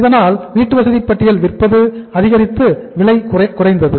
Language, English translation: Tamil, So supply of the housing stock increased and prices fell down